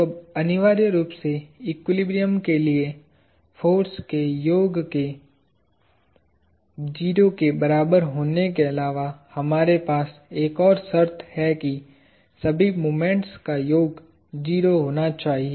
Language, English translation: Hindi, So, now, essentially for equilibrium, apart from the summation of the force being equal to 0, we also have one more condition that, the summation of all the moments has to be 0